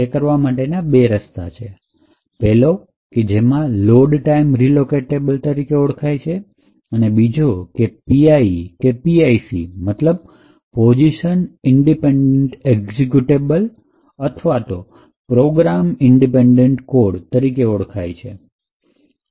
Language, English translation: Gujarati, Essentially, there are two ways to achieve this, one is known as the Load Time Relocatable and the other one is known as the PIE or PIC which stands for Position Independent Executable and Position Independent Code respectively